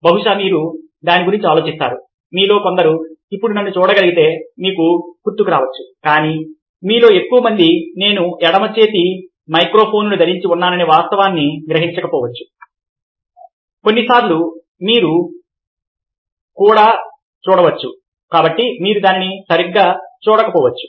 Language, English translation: Telugu, some of you, now that you can see me, may remember, ah, the specs, but the majority of you may miss out the fact that, ah, i am wearing left microphone, ok, over here, which sometimes you can see